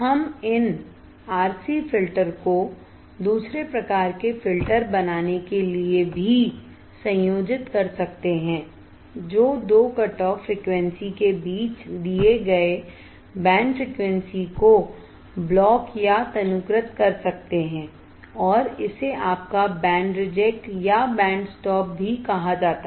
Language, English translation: Hindi, We can also combine these RC filter to form another type of filter that can block, or severely attenuate a given band frequencies between two cutoff frequencies, and this is called your band reject or band stop